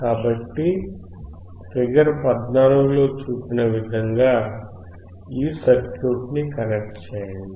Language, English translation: Telugu, So, connect this circuit as shown in figure 14